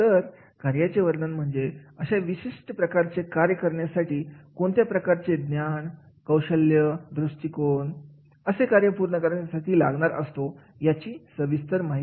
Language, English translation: Marathi, Job description is that is the what type of the knowledge, skill, attitude is required to perform this particular job